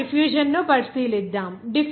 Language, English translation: Telugu, Now, let us consider that diffusion